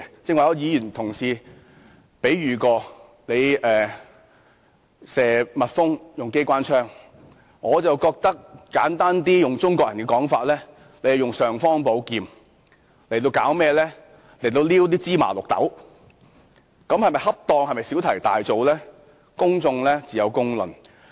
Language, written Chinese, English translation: Cantonese, 剛才有同事以用機關槍射蜜蜂作比喻，我則簡單地用中國人的說法："用尚方寶劍挑芝麻綠豆"，做法是否恰當，是否小題大做，自有公論。, A Member used the metaphor shooting bumble bees with a machine gun just now . I simply describe it with a Chinese saying using an imperial sword to pick sesame seeds . Public opinion will judge whether it is appropriate or making a mountain out of a molehill